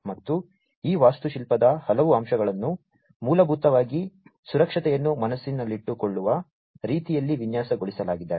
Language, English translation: Kannada, And many of these architectural elements basically have been designed in such a way that safety has been kept in mind